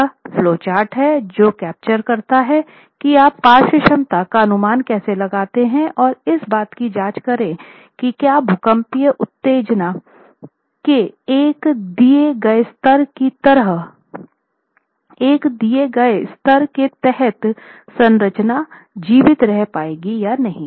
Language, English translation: Hindi, There is this interesting flow chart which then actually captures how you go about estimating the lateral capacity and make checks on whether the structure would be able to survive or fail under a given level of seismic excitation